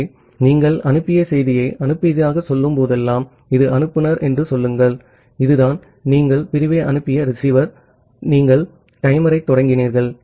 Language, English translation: Tamil, So, whenever you have say sent a sent a message say this is the sender, this is the receiver you have send the segment and you have start the timer